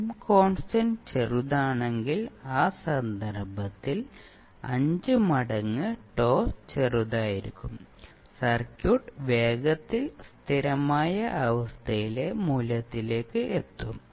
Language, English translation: Malayalam, When time constant is small, means 5 into time constant would be small in that case, and the circuit will reach to steady state value quickly